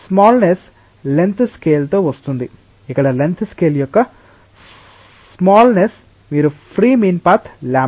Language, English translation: Telugu, The smallness will come with a length scale; the smallness of the length scale here is the mean free path lambda